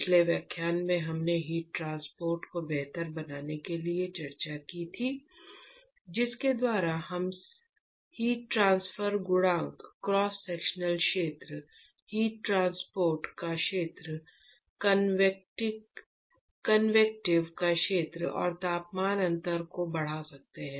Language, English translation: Hindi, If you remember the discussion we had in the last lecture in order to improve the heat transport the ways by which we can do that is by increasing the heat transfer coefficient, cross sectional area, area of convective area of heat transport and the temperature difference